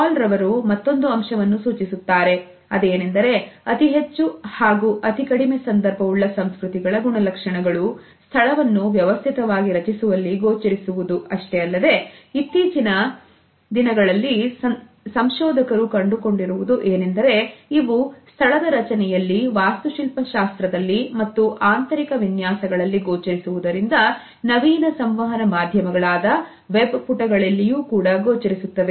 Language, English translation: Kannada, Hall has also suggested that these characteristics of high and low context cultures are also reflected it is space arrangements and nowadays very recent researchers have found that these tendencies are reflected not only in space arrangements, architecture and interior designing; they are also reflected in the designing of the web pages in different cultures as well as in our understanding of time